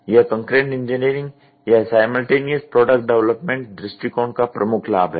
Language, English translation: Hindi, This is the major advantage of concurrent engineering or following simultaneous product development approach